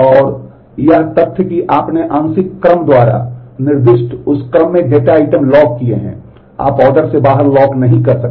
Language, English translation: Hindi, And the fact that you locked data items in that order that is specified by the partial order, you cannot lock out of order